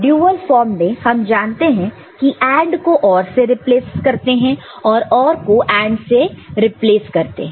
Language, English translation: Hindi, See in the dual form we know that it is these AND is replaced with OR, and OR is replaced with AND